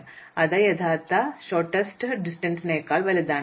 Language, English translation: Malayalam, So, that is surely greater than the actual shorter distances